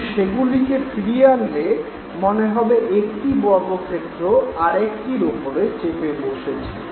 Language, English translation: Bengali, But when they are brought back, we perceive two big squares overlying each other